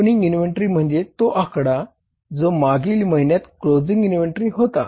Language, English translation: Marathi, Opening inventory is the this figure which is the closing inventory for the previous month